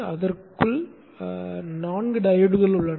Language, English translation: Tamil, It is having four diodes within it